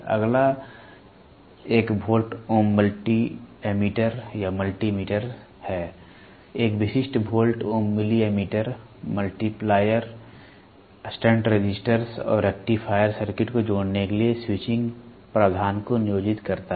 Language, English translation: Hindi, Next one is Volt Ohm Multi ammeter or Multi meters; a typical volt ohm milli ammeter employs switching provision for connecting multipliers, stunt resistors and rectifier circuits